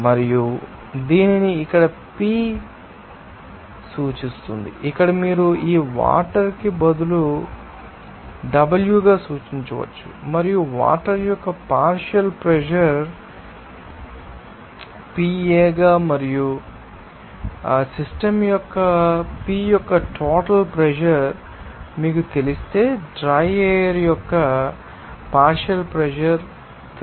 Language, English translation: Telugu, And it is denoted by PA here you can you know donate you can denote this water as w instead of here and also what should be the partial pressure of you know dry air if you know the partial pressure of water as PA and total pressure of P of the system